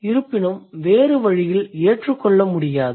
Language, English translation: Tamil, The other way around is not acceptable